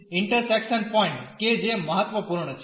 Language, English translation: Gujarati, The point of intersection that is also important